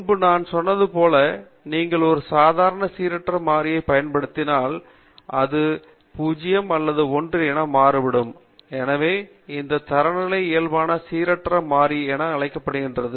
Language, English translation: Tamil, So as I said earlier, once you standardize a normal random variable, it has 0 mean and variance 1; so this is called as a Standard Normal Random Variable